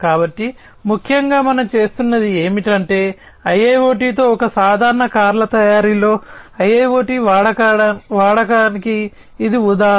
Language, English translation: Telugu, So, essentially what we are doing is that this is the example of use of IIOT in a typical car manufacturing with IIoT